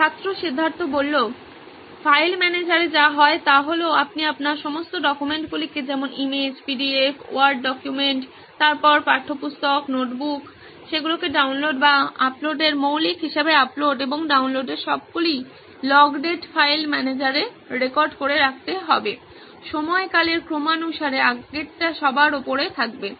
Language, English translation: Bengali, In file manager what happens is you can segregate your entire documents like image, PDF, Word document then textbook, notebook they have come down as downloads or uploads basic all the log date of uploads and downloads would be recorded in the file manager, in sequence of the time period, pertaining to the earlier being on top